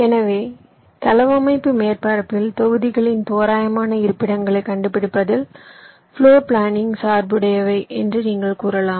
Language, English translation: Tamil, so you can say, floor planning concerns finding the approximate locations of the modules on the layout surface